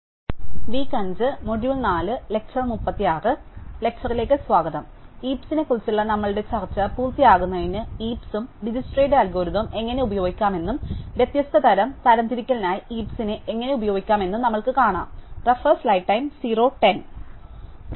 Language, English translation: Malayalam, To complete our discussion of heaps we will see how to use heaps and DijskstraÕs algorithm, and also how to use heaps for a different type of sorting